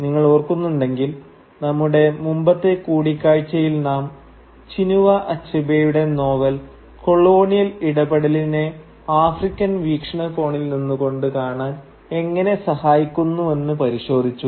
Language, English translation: Malayalam, And if you remember, in our last meeting we talked about how Achebe’s novel helps us look at the colonial encounter from an African perspective